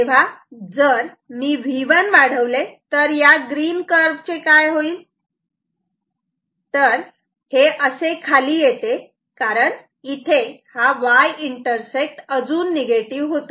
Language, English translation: Marathi, So, if I say increase V 1 what will happen this green curve, this will come down because the y intersect will become further negative